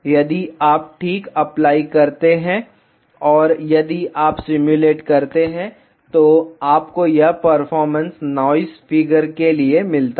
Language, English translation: Hindi, If you apply ok, and if you simulate, you get this performance for noise figure